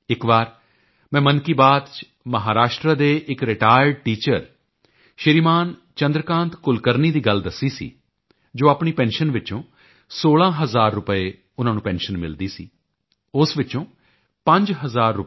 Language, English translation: Punjabi, Once, in Mann Ki Baat, I had mentioned about a retired teacher from Maharashtra Shriman Chandrakant Kulkarni who donated 51 post dated cheques of Rs